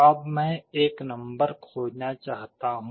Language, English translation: Hindi, Now, I want to search for a number